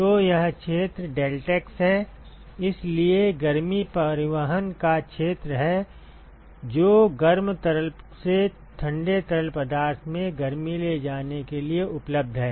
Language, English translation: Hindi, So, this area is deltaA so, that is the area of heat transport which is available for taking heat from the hot fluid to the cold fluid